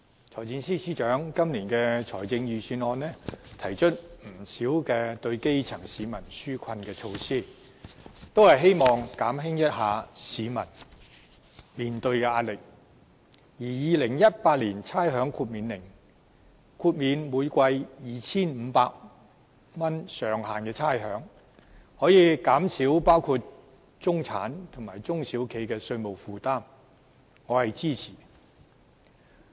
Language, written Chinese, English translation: Cantonese, 財政司司長今年的財政預算案提出不少對基層市民紓困的措施，希望減輕市民面對的壓力，而《2018年差餉令》豁免每季上限 2,500 元的差餉，可以減少包括中產人士和中小型企業的稅務負擔，我是支持的。, The Financial Secretary has proposed in this years Budget quite a number of relief measures for the grass roots hoping to ease their pressure . The proposal under the Rating Exemption Order 2018 to waive rates for four quarters subject to a ceiling of 2,500 per quarter can reduce the tax burden of the middle class and small and medium enterprises SMEs and it has my support